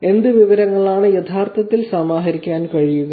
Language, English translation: Malayalam, What information can be actually collated